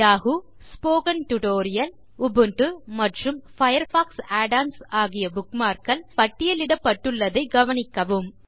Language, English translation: Tamil, Notice that the Yahoo, Spoken Tutorial, Ubuntu and FireFox Add ons bookmarks are listed here